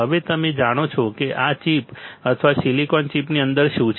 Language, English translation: Gujarati, Now, you know that how this how this chip or what is there within the silicon chip